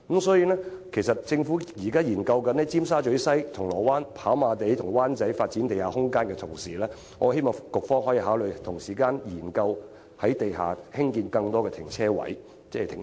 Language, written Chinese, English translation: Cantonese, 所以，適逢政府正在研究於尖沙咀西、銅鑼灣、跑馬地和灣仔發展地下空間之時，我希望局方可以同時考慮在地下興建更多停車場。, Therefore I call on the Government to take the opportunity of its ongoing study of underground space development in the four areas of Tsim Sha Tsui West Causeway Bay Happy Valley and Wan Chai and to also consider building more car parks underground